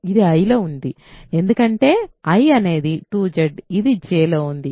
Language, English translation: Telugu, This is in I because I is 2Z this is in J